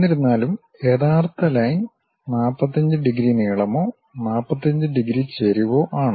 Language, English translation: Malayalam, However, the actual line is at 45 degrees length or 45 degrees inclination